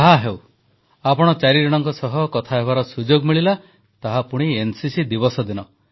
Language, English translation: Odia, All right I got a chance to have a word with all four of you, and that too on NCC Day